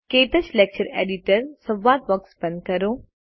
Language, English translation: Gujarati, Let us close the KTouch Lecture Editor dialogue box